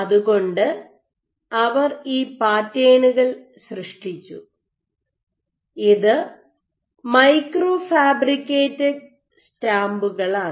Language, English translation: Malayalam, So, they created these patterns is micro fabricated stamps